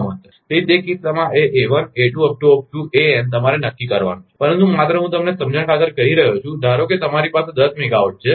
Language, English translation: Gujarati, So, in that case, this a1, a2, an, you have to decide, but just I am telling you for the sake of understanding, suppose you have a ten megawatt